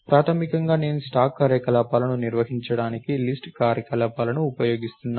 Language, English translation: Telugu, So, basically I am using list operations to perform the stack operations